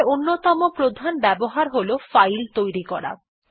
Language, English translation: Bengali, Infact the other main use of cat is to create a file